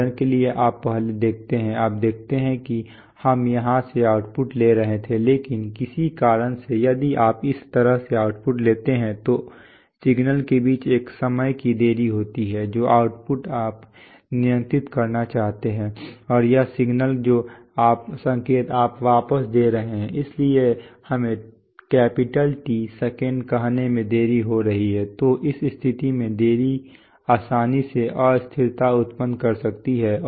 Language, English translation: Hindi, For example, you see previously, you see that we were taking the output from here, but for some reason if you take an output from such that, there is a time delay between this signal which is the output you want to control and this signal which is the signal you are feeding back, so there is a delay of let us say T seconds then in that case that delay can easily generate instability